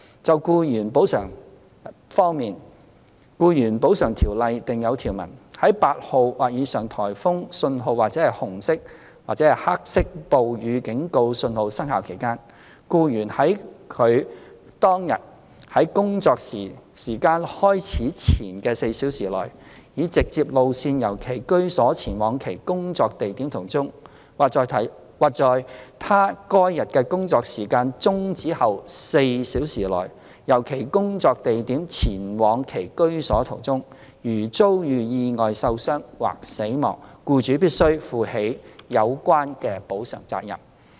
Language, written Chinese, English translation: Cantonese, 就僱員補償保障方面，《僱員補償條例》訂有條文，在8號或以上颱風信號或紅色/黑色暴雨警告信號生效期間，僱員在他該日的工作時間開始前4小時內，以直接路線由其居所前往其工作地點途中，或在他該日的工作時間終止後4小時內，由其工作地點前往其居所途中，如遭遇意外受傷或死亡，僱主亦須負起有關的補償責任。, 8 or above or when the Red or Black Rainstorm Warning is in force the employer is in general liable to pay compensation under ECO if an employee sustains an injury or dies as a result of an accident while travelling from his place of residence to his place of work by a direct route within a period of four hours before the time of commencement of his working hours for that day or from his place of work to his place of residence within a period of four hours after the time of cessation of his working hours for that day . The nature and requirements of different jobs in various trades and industries vary from each other